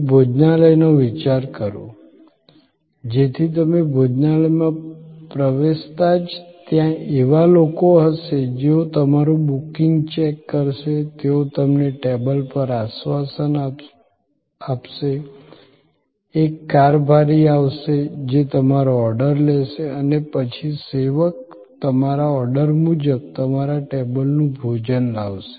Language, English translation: Gujarati, Think of a restaurant, so as you enter the restaurant, there will be people who will check your booking, they will assure you to the table, a steward will come, who will take your order and then, the servers will bring your food to your table according to your order